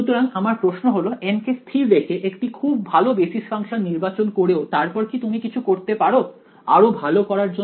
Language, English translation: Bengali, So, my question is that keeping N fixed choosing good basis functions still is there something better that you could do right